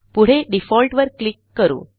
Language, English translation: Marathi, Next, click on the Default option